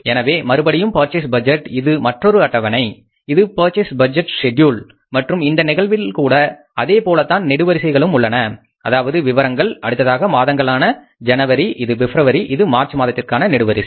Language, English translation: Tamil, So purchase budget is again this is the another schedule purchase budget schedule and in this case also we will have the columns like particles then the again months January then it is February and then it is February and then it is the March